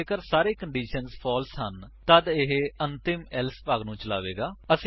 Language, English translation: Punjabi, If all the conditions are false, it will execute the final Else section